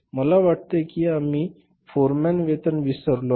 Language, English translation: Marathi, I think we have missed out the foreman wages, right